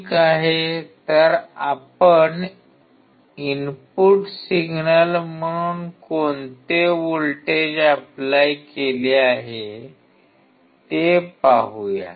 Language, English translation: Marathi, Ok, so let us see what voltage has he applied as an input signal